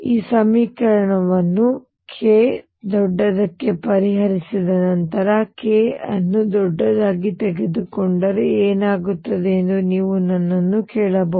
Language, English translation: Kannada, You may also ask me question what happens if I take k larger after I can solve this equation for k larger